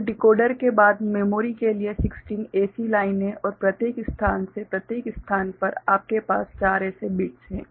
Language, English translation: Hindi, So, 16 such lines to the memory after the decoder and from each location right each location, you are having four such bits right